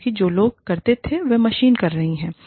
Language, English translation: Hindi, Because, machines are doing, what people used to do